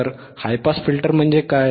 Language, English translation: Marathi, So, what is high pass filter